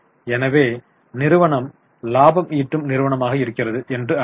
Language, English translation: Tamil, So, company must be a profit making company